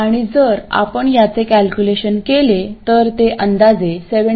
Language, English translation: Marathi, And if you calculate this it will come out to be approximately 17